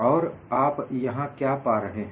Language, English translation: Hindi, And what do you find here